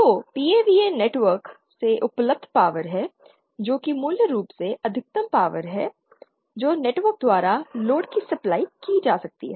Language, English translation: Hindi, So PAVN is the power available from the network it basically means the maximum power that can be supplied by the network to the load